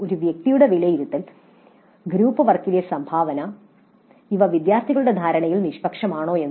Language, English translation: Malayalam, So the evaluation of an individual's contribution in the group work whether it is impartial in the perception of the students